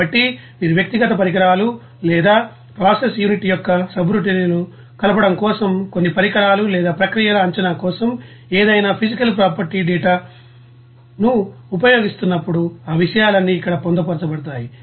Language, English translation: Telugu, So, all those things will be you know incorporating here whenever you are using any physical property data for you know assessment of some equipment or process just by you know conjugating that subroutines of that you know individual equipment or process unit